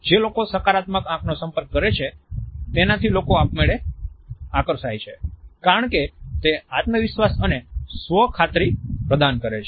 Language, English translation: Gujarati, People are automatically drawn towards people who have a positive eye contact because it conveys self assurance and confidence